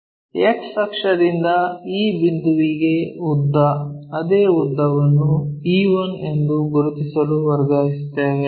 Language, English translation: Kannada, The length from X axis to e point same length we will transfer it to locate it to e